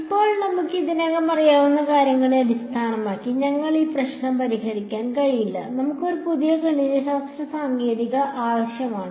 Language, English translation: Malayalam, Now, turns out based on what we already know, we actually cant solve this problem; we need a new mathematical technique